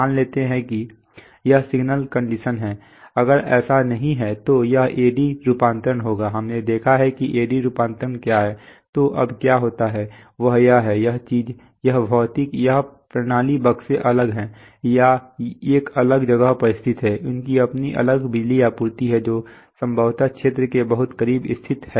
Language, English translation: Hindi, Let us assume that, it is signal conditioned we are not, if it is not that then it will be conditioned then the A/D conversion, we have seen what is A/D conversion, then now what happens is that, is that, this thing, this physical, this systems, boxes are separate or situated a separate place, they have their own separate power supplies they are situated possibly much closer to the field